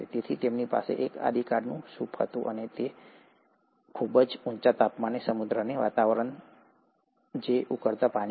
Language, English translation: Gujarati, So they had a primordial soup kind and they had an ocean kind of environment at a very high temperature, which is the boiling water